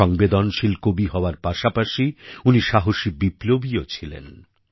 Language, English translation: Bengali, Besides being a sensitive poet, he was also a courageous revolutionary